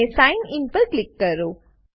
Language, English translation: Gujarati, And click on Sign In